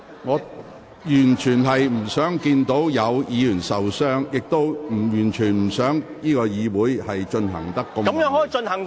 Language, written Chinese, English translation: Cantonese, 我完全不想看到有議員受傷，亦完全不想會議變得如此混亂。, I do not wish to see Members sustain any injury in any way just as I do not wish to see the meeting rendered so chaotic